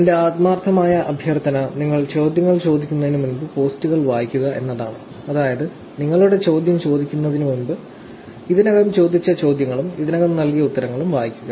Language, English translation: Malayalam, My sincere request will be, please, please read the posts before you actually ask the question; that is, read the posts that have been already asked, the questions that have already been asked and the answers that has been already given, before asking the question